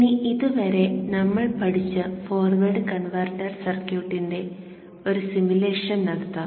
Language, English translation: Malayalam, Let us now perform a simulation of the forward converter circuit that we have studied till now